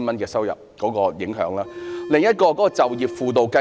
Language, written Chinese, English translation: Cantonese, 另一令人不滿之處，就是就業輔導計劃。, Another issue causing discontent is the employment assistance programme